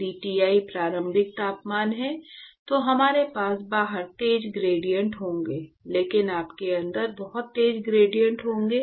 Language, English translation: Hindi, If Ti is the initial temperature, we will have sharp gradients outside, but you will have lots of sharp gradients inside